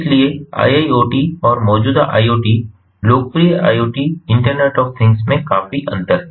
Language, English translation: Hindi, so iiot has differences with the existing iot, the popular iot internet of things